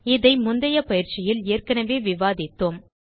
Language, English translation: Tamil, We have already covered this part in the earlier tutorial